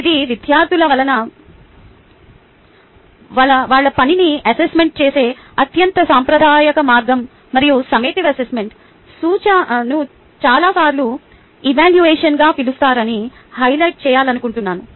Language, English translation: Telugu, its the most traditional way of evaluating student work and i would like to highlight the summative assessment many times is also just referred as evaluation